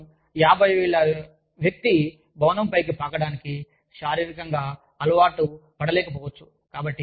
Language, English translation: Telugu, I mean, a 50 year old person, may not be physically able to rapple, on the side of the building